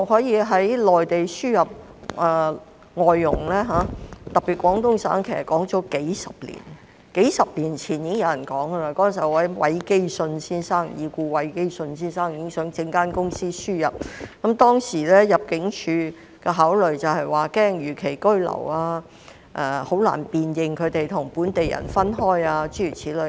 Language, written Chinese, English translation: Cantonese, 從內地輸入內傭的說法已有數十年之久，數十年前已故的韋基舜先生已想成立公司輸入內傭，但當時入境處的考慮是擔心他們會逾期居留，以及難以辨別他們與本地人等。, The importation of MDHs from the Mainland has been discussed for several decades . The late Mr WAI Kee - shun wanted to set up a company to import MDHs several decades ago but back then ImmD was worried that these helpers would overstay and there was difficulty in distinguishing them from local people